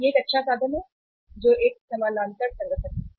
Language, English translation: Hindi, This is a means unparallel organization